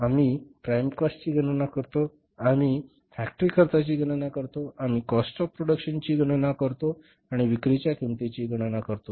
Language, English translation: Marathi, We calculate the prime cost, we calculate the factory cost, we calculate the cost of production and we calculate the cost of sales